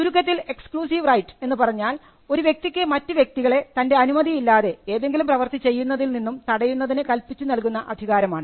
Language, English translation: Malayalam, So, exclusive rights are rights which confer the ability on a person to stop others from doing things without his consent